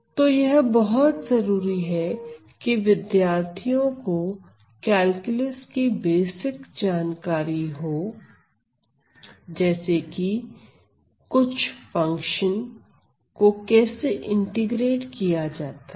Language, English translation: Hindi, So, it is necessary that, most basic knowledge of calculus is known to the students specially how to integrate certain functions